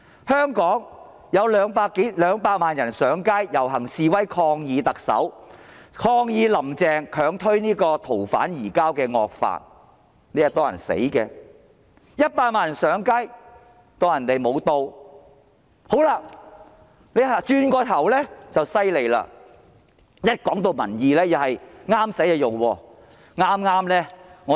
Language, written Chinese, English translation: Cantonese, 香港有200萬人上街遊行示威，抗議"林鄭"強推修訂《逃犯條例》的惡法，"林鄭"置若罔聞 ；100 萬人上街，她視而不見；但轉過頭來，"林鄭"便厲害了，當說到民意時，她也是選擇合適的才用。, When 2 million people took to the streets in Hong Kong to protest against Carrie LAMs attempt to force through the evil law intended to amend the Fugitive Offenders Ordinance Carrie LAM turned a deaf ear to them; and when 1 million people took to the streets she turned a blind eye to them . But on the other hand Carrie LAM is awesome because when it comes to public opinions she chooses only those suiting her